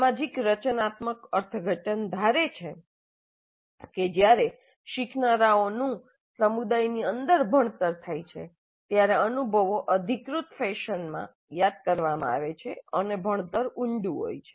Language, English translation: Gujarati, So the social constructivist interpretation assumes that when the learning occurs within a community of learners the experiences are more likely to be recollected in an authentic fashion and learning is more likely to be deep